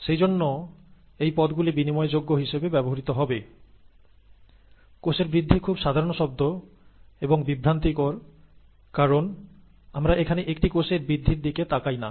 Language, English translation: Bengali, So these terms will be used interchangeably; cell growth is a very ‘common term’, rather misleading because we are not looking at the growth of a single cell here